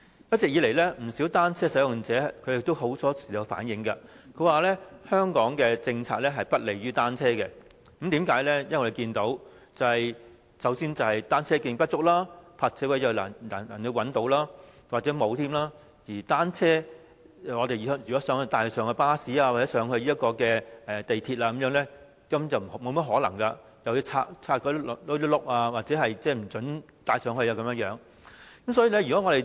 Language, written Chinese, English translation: Cantonese, 一直以來，不少單車使用者經常反映，香港的政策不利於單車，因為我們看到，首先是單車徑不足，其次是難以找到泊車位，有些地方甚至沒有泊車位；如果想將單車帶上巴士或港鐵，根本沒甚麼可能，乘客或須將車輪拆下，甚至不准把單車帶入車廂。, All along many cyclists have reflected from time to time that the policies in Hong Kong are unfavourable to bicycles because as we can see firstly there are not enough cycle tracks and secondly it is difficult to find bicycle parking spaces . At some places there is even no parking space . If a passenger wishes to board a bus or an MTR train with a bicycle it is almost impossible to do so